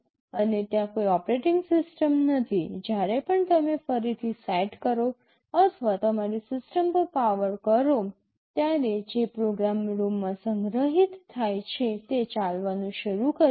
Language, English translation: Gujarati, And there is no operating system, whenever you reset or power on your system the program which is stored in the ROM starts running